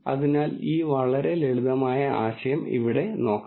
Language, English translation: Malayalam, So, let us look at this very simple idea here